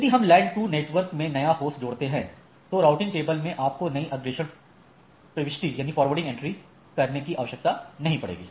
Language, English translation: Hindi, So, in the LAN 2 if I add a new host so you does not require adding a new forwarding entry into the table